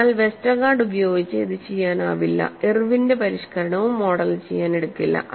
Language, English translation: Malayalam, So, that cannot be modelled by the Westergaard neither by Irwin’s modification